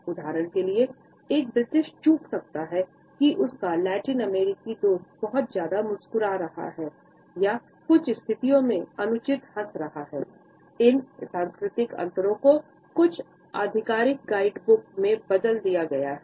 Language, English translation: Hindi, For example, a British may miss perceived that the Latin American friend is smiling too much or that the smile is inappropriate in certain situations